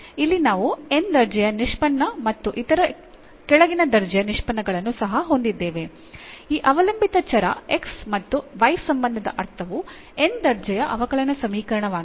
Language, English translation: Kannada, So, here we have this nth order derivatives and other lower order derivatives also, this dependent variable x and y since a relation meaning is a differential equation the nth order differential equation